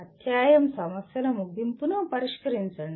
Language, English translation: Telugu, Solve end of the chapter problems